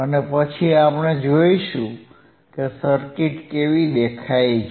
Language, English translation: Gujarati, And then we will see how the circuit looks